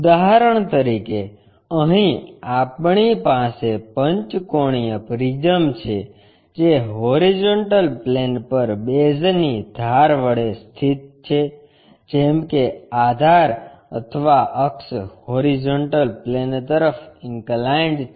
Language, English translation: Gujarati, For example, here we have a pentagonal prism which is place with an edge of the base on horizontal plane, such that base or axis is inclined to horizontal plane